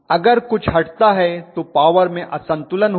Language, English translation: Hindi, So something conks out I am going to have a power imbalance